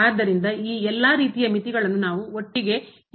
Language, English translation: Kannada, So, all these type of limits we can handle all together